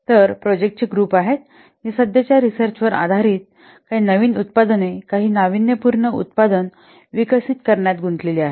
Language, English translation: Marathi, So these are the groups of projects which are involved in developing some new products, some innovative product, based on some current research work